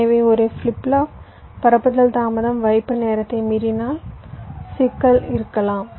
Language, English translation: Tamil, so if a flip flop propagation delay exceeds the hold time, there can be a problem